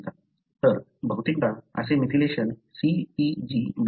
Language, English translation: Marathi, So, more often, such methylation happens in what is called as CpG islands